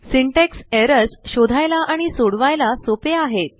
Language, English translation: Marathi, Syntax errors are easy to find and fix